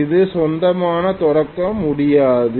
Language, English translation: Tamil, It will not be able to start on its own